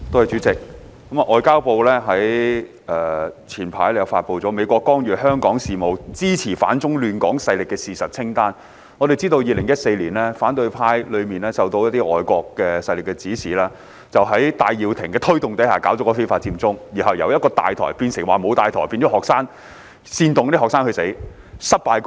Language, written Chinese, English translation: Cantonese, 主席，外交部早前發出了"美國干預香港事務、支持反中亂港勢力事實清單"，而我們也知道反對派在2014年受到一些外國勢力的指示，在戴耀廷的推動下進行非法佔中活動，其後再由一個"大台"變成沒有"大台"，煽動學生犯法，並以失敗告終。, President the Ministry of Foreign Affairs has issued earlier a fact sheet that sets out the host of acts of the United States in interfering in Hong Kong affairs and supporting anti - China destabilizing forces and we all know that the opposition camp launched in 2014 under the instruction of some foreign forces the illegal Occupy Central movement initiated by Benny TAI . The movement was subsequently decentralized with the absence of a command centre students were incited to break the law and the whole campaign ultimately ended up in failure